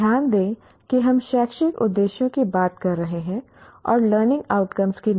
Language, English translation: Hindi, Note that we are talking of educational objectives and not learning outcomes